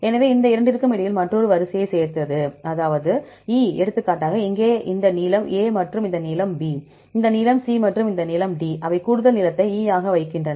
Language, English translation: Tamil, So, added another line between these two, that is E for example, here this length is A and this length is B, and this length is C and this length is D and they put additional length as E